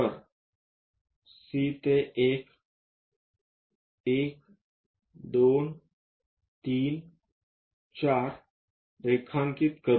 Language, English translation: Marathi, So, C to 1, let us draw it 1, 2, 3, 4